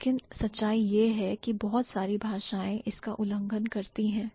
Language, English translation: Hindi, But the story is that or the reality is that a lot of languages violate this